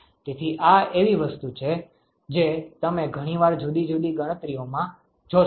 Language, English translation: Gujarati, So, this is something that you will see very often in many different calculations